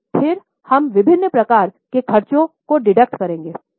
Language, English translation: Hindi, Then we will deduct various types of expenses